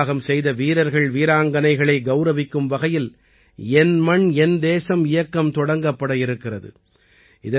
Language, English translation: Tamil, 'Meri Mati Mera Desh' campaign will be launched to honour our martyred braveheart men and women